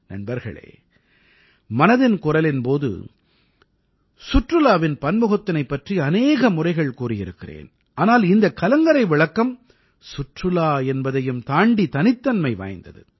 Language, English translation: Tamil, Friends, I have talked of different aspects of tourism several times during 'Man kiBaat', but these light houses are unique in terms of tourism